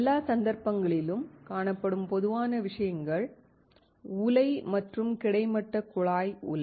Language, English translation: Tamil, In all the cases, the common things seen are a furnace and a horizontal tube furnace